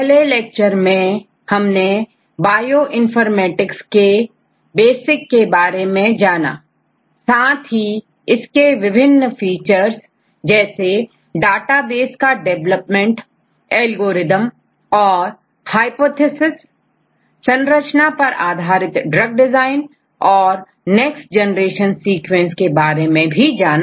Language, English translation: Hindi, In the first lecture just for refreshing, we discussed about the basics of Bioinformatics with few examples, and the different features of Bioinformatics; for example development of databases, algorithms and hypotheses, structure based drug design and next generation sequencing